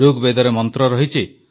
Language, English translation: Odia, There is a mantra in Rigved